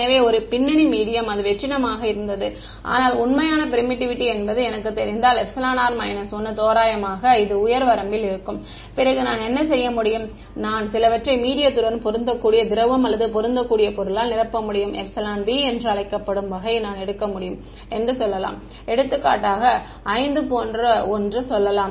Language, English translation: Tamil, So, a background medium was vacuum it is epsilon r minus 1, but if I know that the true permittivity is roughly going to be in this high range then what I can do is, I can fill the medium with some kind of what is called matching liquid or matching material whose epsilon b is let us say I can take for example, something like 5 let us say